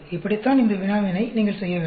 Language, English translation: Tamil, That is how you do this problem